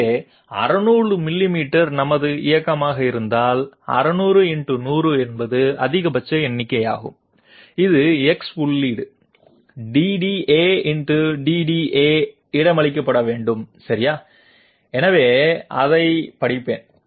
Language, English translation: Tamil, So is 600 millimeters is our motion, then 600 into100 is the maximum number which has to be accommodated in the X feed DDA X DDA okay, so let me read it